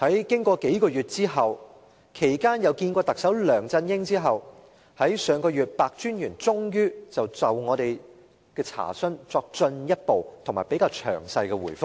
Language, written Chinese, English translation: Cantonese, 經過數月，其間與特首梁振英會面後，白專員在上月終於就我們的查詢作進一步和較詳細的回覆。, After few months and following his meeting with the Chief Executive he eventually offered a further and more detailed reply last month to our enquiry